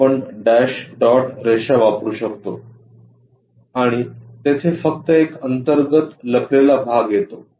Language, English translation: Marathi, So, we can use by dash dot lines and only internal hidden portion comes out there